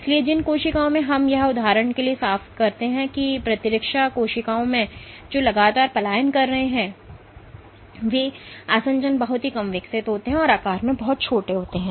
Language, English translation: Hindi, So, in cells which are we cleared here in for example, the in immune cells which are continuously migrating, these adhesions are much less well developed and are much smaller in size